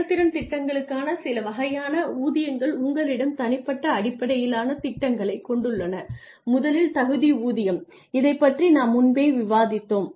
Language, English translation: Tamil, Some types of pay for performance plans you have individual based plans which is merit pay, we have discussed this earlier